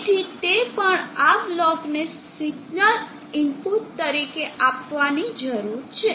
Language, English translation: Gujarati, So that also needs to be given as signal inputs to this block